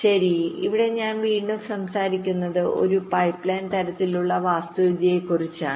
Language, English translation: Malayalam, well, here we are again talking about that pipeline kind of an architecture